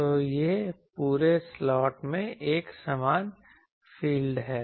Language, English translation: Hindi, So, it is an uniform field throughout this slot